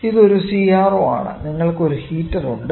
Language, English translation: Malayalam, So, this is a CRO, you have a heater